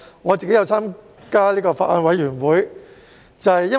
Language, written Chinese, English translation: Cantonese, 我也有加入法案委員會。, I am also a member of the Bills Committee